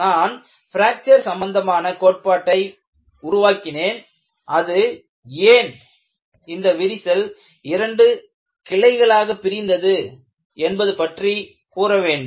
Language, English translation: Tamil, If I develop a fracture theory, the fracture theory should be able to say why a crack branches out